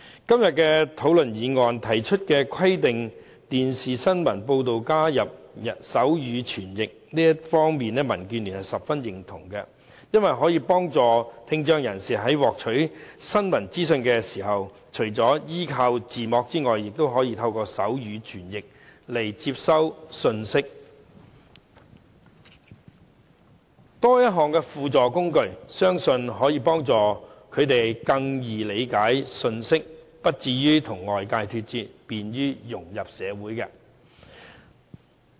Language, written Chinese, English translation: Cantonese, 今天討論的議案，提出規定電視新聞報道加入手語傳譯，這方面民建聯十分認同，因為可以幫助聽障人士在獲取新聞資訊時，除了依賴字幕外，也可以透過手語傳譯來接收信息，多一項輔助工具，相信可以幫助他們更容易理解信息，不至於與外界脫節，便於融入社會。, The motion under debate today proposes to require the provision of sign language interpretation for television news broadcasts . The Democratic Alliance for the Betterment and Progress of Hong Kong strongly approves of this because apart from subtitles sign language interpretation will also help people with hearing impairment to receive messages when picking up news information . We believe that with the help of this additional assistive device they will find it easier to understand messages and integrate into society thus avoiding separation from the outside world